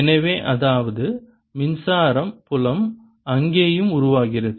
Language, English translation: Tamil, so that means electrical generator there also